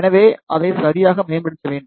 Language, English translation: Tamil, So, it should be optimized properly